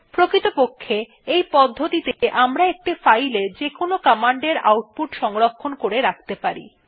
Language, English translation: Bengali, In fact we can store the output of any command in a file in this way